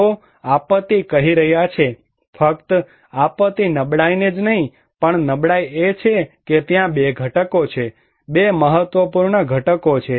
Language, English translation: Gujarati, They are saying disaster, not disaster vulnerability only but, vulnerability is there is a two components, two important components are there